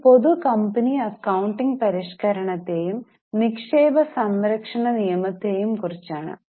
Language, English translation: Malayalam, And this is about the public company accounting reform and investor protection act